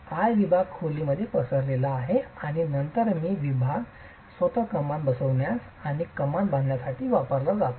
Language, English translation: Marathi, The eye section spans across the room and then the eye section itself is used for seating the arch and construction of the arch